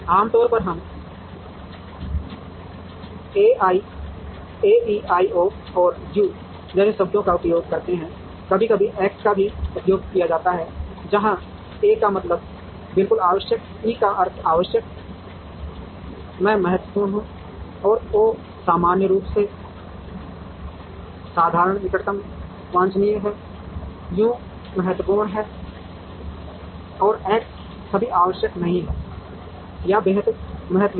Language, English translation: Hindi, Ordinarily, we use terms like A E I O and U, sometimes X is also used, where A means it is absolutely essential, E would means essential, I is important O is ordinarily ordinary closeness desirable, U is unimportant and X is not at all required or extremely unimportant